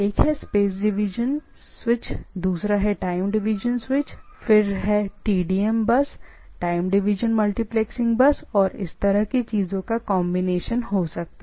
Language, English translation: Hindi, One is space division switch, another is time division switch, another is TDM bus – the time division multiplexing bus and there can be combination of this type of things, right of these switching things